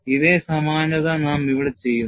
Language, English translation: Malayalam, We will also do the same approximation here